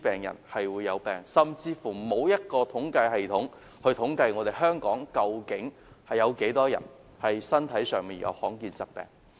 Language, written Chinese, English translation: Cantonese, 現時甚至沒有統計系統，統計究竟有多少香港人患上罕見疾病。, At present there is even no system for compiling statistics on the number of Hong Kong people suffering from rare diseases